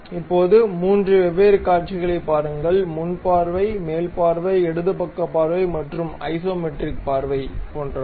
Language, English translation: Tamil, Now, look at 3 different views, something like the front view, the top view, the left side view and the isometric view